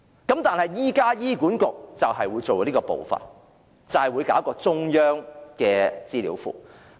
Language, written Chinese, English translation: Cantonese, 不過，現時醫管局會採取這步驟，制訂中央資料庫。, But now HA will take the course of setting up a central database